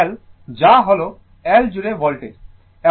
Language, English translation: Bengali, This is L that is voltage across L